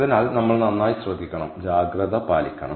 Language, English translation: Malayalam, so we have to take good care and we have to be careful